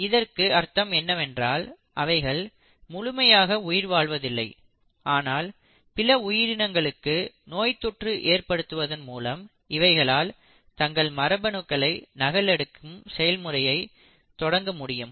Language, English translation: Tamil, So in a sense they are not completely living but when they infect a living organism, they then can initiate the process of their genetic replication